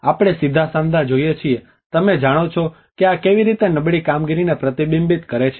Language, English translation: Gujarati, As we see the straight joints, you know so how this reflects the poor workmanship